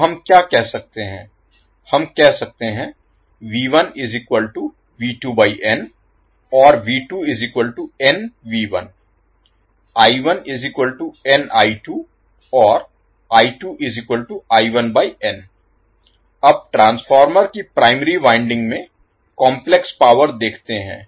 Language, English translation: Hindi, Now, let us see complex power in the primary winding of the transformer